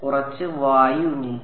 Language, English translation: Malayalam, There is some amount of air